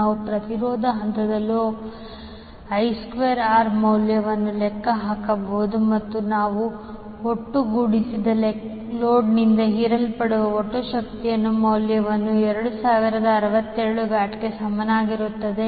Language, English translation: Kannada, We can just calculate the value of I square r for each and individual phases and when we sum up we get the value of total power absorbed by the load is equal to 2067 watt